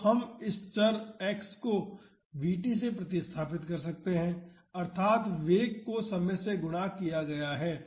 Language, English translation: Hindi, So, we can replace this variable x by v t that is velocity multiplied by time